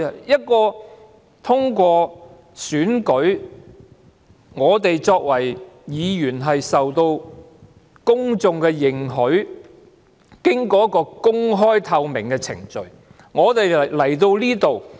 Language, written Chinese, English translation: Cantonese, 我們通過選舉出任議員，受到公眾的認許，經過公開、透明的程序加入立法會。, We became Members through elections we have mandate from the public and we joined the Legislative Council through an open and transparent procedure